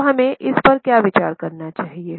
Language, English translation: Hindi, So, what should we consider it as